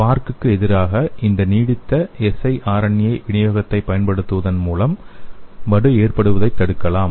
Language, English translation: Tamil, So we can prevent this formation of scar by using this sustained siRNA delivery against these SPARC